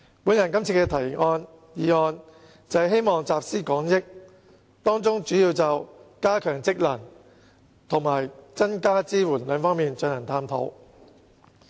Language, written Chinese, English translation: Cantonese, 我今次提出這項議案辯論，便是希望集思廣益，當中主要會就"加強職能"和"增加支援"兩方面進行探討。, In proposing the motion debate this time around I hope that collective wisdom can be pooled and in the debate two major areas that is strengthening functions and enhancing support will be explored